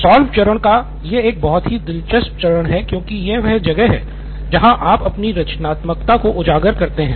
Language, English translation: Hindi, Solve is a very interesting stage because this is where you unleash your creativity